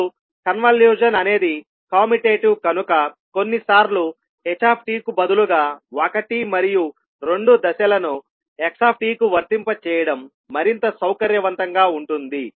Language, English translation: Telugu, Now since the convolution is commutative it is sometimes more convenient to apply step one and two to xt instead of ht